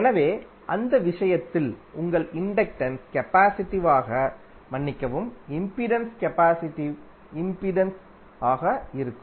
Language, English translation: Tamil, So in that case your inductance would be capacitive sorry the impedance would be capacitive impedance